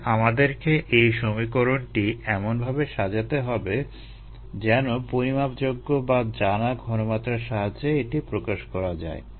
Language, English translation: Bengali, so we need to formulate our equations in terms of measurable or knowable concentrations